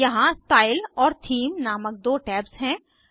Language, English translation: Hindi, Here, there are two tabs: Style and Theme